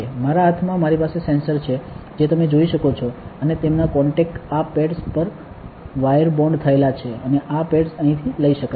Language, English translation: Gujarati, In my hand, I have the sensors which you can see and their contacts have been wire bonded on to these pads and these pads can be taken from here